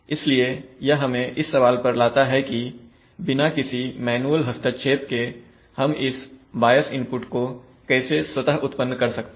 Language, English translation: Hindi, So that brings us to the question that how can we automatically generate this bias input without any manual intervention